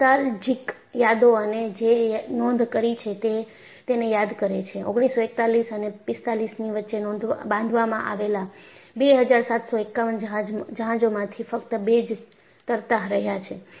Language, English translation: Gujarati, They remember this, nostalgic memories and what is recorded is, out of the 2751 ships built between 1941 and 45, only two remain afloat